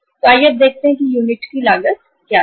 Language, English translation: Hindi, So uh let us see now what is the unit cost